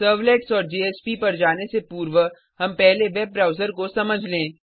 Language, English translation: Hindi, Before moving onto Servlets and JSP, let us first understand a web server